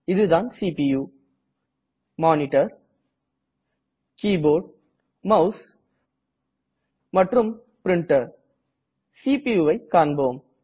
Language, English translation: Tamil, This is the CPU Monitor Keyboard Mouse and Printer Lets look at the CPU